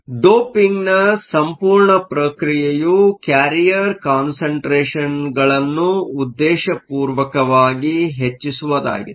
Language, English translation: Kannada, So, The whole process of doping is to selectively increase your carrier concentration